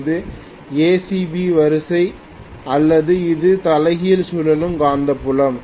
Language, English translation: Tamil, This is ACB sequence or this is reverse rotating magnetic field